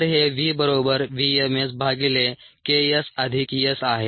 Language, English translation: Marathi, so this is v equals v m s by k s plus s